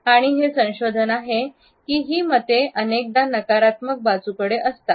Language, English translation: Marathi, And this research has also suggested that these opinions often tend to be on the negative side